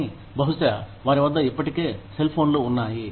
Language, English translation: Telugu, But, maybe, they already have cellphones